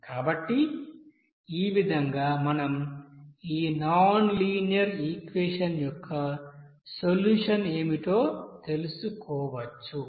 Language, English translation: Telugu, So in that way you can also find out what should be the solution of this nonlinear equation